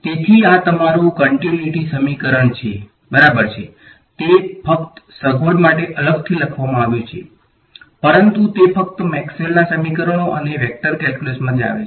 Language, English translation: Gujarati, So, this is your continuity equation right, it is just written separately just for convenience, but it just comes from Maxwell’s equations and vector calculus ok